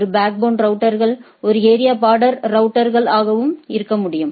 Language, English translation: Tamil, A backbone router can also be a area border router, right